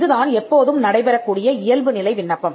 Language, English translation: Tamil, So, this is the default application; it is an ordinary application